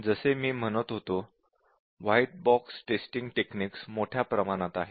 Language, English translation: Marathi, As I was saying that there are large numbers of white box testing techniques